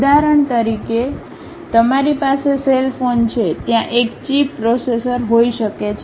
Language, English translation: Gujarati, For example, like you have a cell phone; there might be a chip processor